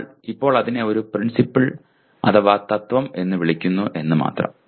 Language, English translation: Malayalam, Only thing we now call it a principle